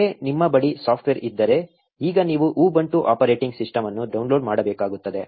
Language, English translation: Kannada, Once you have the software with you, now you need to download the Ubuntu operating system